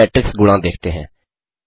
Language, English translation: Hindi, Now let us see an example for matrix multiplication